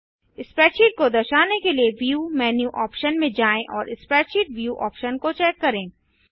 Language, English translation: Hindi, To make the spreadsheet visible go to the view menu option and check the spreadsheet view option